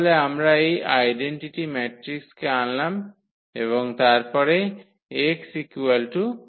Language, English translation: Bengali, Then we have to also introduce this identity matrix and then x is equal to 0